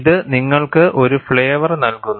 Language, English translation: Malayalam, It gives you a flavor